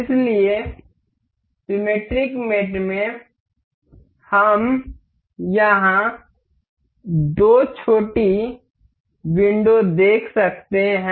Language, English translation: Hindi, So, in the symmetric mate, we can see here two little windows